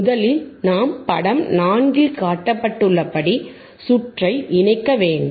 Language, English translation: Tamil, First, is we can corrnnect the circuit as shown in figure 4,